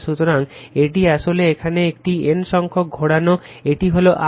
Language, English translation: Bengali, So, this is actually here it is number of turns is N, it is I right